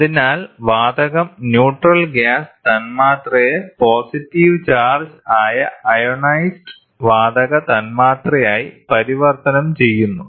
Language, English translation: Malayalam, These gauges convert neutral gas molecules into positively charged or ionized gas molecules